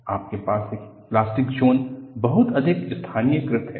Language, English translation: Hindi, You have plastic zone that is very highly localized